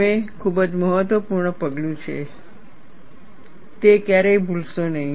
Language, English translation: Gujarati, It is a very significant step, never forget that